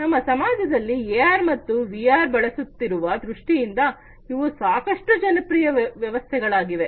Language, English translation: Kannada, These are quite popular systems in terms of AR and VR being used in our society